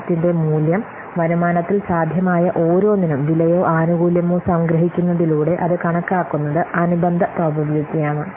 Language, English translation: Malayalam, So the value of the project is then obtained by summing the cost or benefit for each possible outcome weighted by its corresponding probability